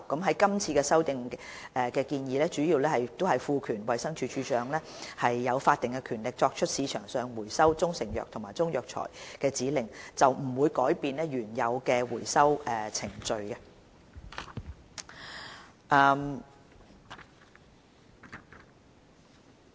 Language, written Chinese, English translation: Cantonese, 是次修訂建議主要旨在賦予衞生署署長法定權力，作出從市場收回中成藥或中藥材的指令，並不會改變原有的回收程序。, The amendments proposed this time around seek mainly to confer on the Director of Health the statutory power to make an order to recall proprietary Chinese medicines or Chinese herbal medicines from the market without altering the original recall procedures